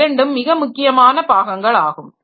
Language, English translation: Tamil, So, these are the two important part